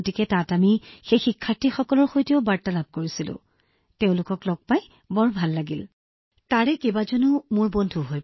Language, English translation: Assamese, So there we interacted with those students as well and I felt very happy to meet them, many of them are my friends too